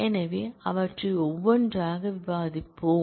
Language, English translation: Tamil, So, we will discuss them one by one